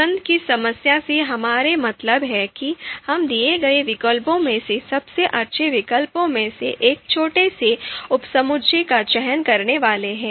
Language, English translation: Hindi, So by choice problem, we mean that you know we are supposed to select a smallest subset of best alternatives from a given set of alternatives